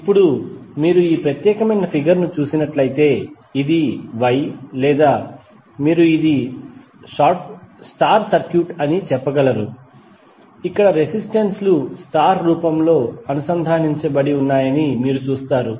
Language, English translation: Telugu, Now, if you see this particular figure, this is a Y or you could say, this is a star circuit where you see the resistances are connected in star form